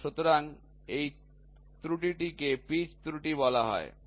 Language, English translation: Bengali, So, this error is called as pitch error